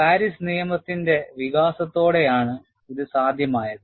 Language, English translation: Malayalam, This was made possible, with the development of Paris law